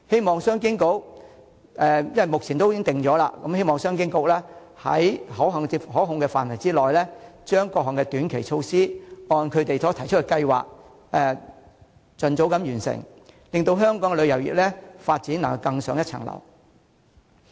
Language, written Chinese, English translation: Cantonese, 目前藍圖已經制訂，我希望商務及經濟發展局在可控範圍內，將各項短期措施按該局所提出的計劃盡早完成，令香港的旅遊業發展能更上一層樓。, This way better results will be achieved . Since the Blueprint has already been formulated now I hope the Secretary for Commerce and Economic Development will under controlled circumstances complete the short - term initiatives in accordance with the plan made by the Bureau as soon as possible so that the development of tourism industry in Hong Kong can scale new heights